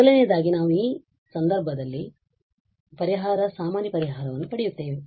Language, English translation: Kannada, First we will get the solution general solution in that sense